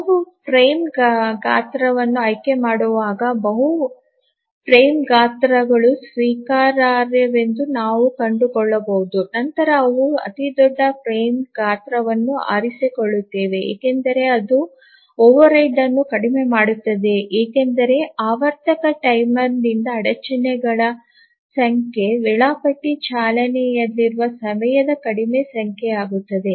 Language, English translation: Kannada, As we try to select a frame size, we might find that multiple frame sizes are acceptable then we choose the largest frame size because that minimizes the overhead because the number of interrupts from the periodic timer become less, less number of time the scheduler runs